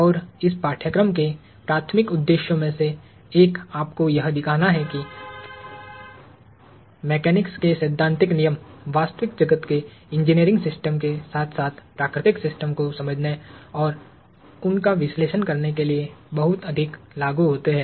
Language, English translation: Hindi, And one of the primary objectives of this course is to show you that, the theoretical laws of mechanics are very much applicable to understanding and analyzing the real world engineering systems as well as natural systems